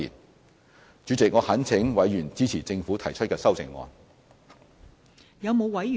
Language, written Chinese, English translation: Cantonese, 代理主席，我懇請委員支持政府提出的修正案。, Deputy Chairman I beg Members to support the amendment proposed by the Government